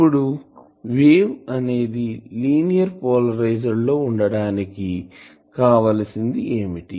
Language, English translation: Telugu, Now, for the wave to be linear polarized what I demand